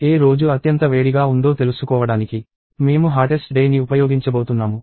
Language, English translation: Telugu, I am going to use hottest day to find out which day is the hottest